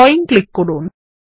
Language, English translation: Bengali, Click on Drawing